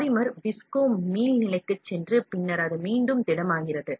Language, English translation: Tamil, Polymer sold it goes into visco elastic and then it becomes a solid once again